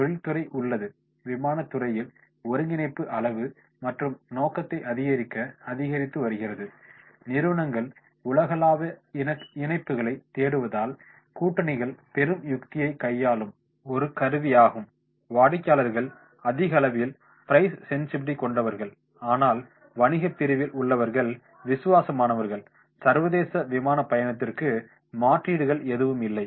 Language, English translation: Tamil, Industry is there, consolidation in the airline industry is increasing to enhance scale and scope, alliances are the hottest strategy tool as companies seek global connections, customers are increasingly price sensitive but business segment are loyal, there are little to no substitutes for the international air travel